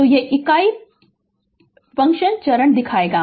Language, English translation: Hindi, So, this is the the plot how you will show the unit step step function right